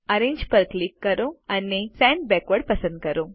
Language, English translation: Gujarati, Click Arrange and select Send Backward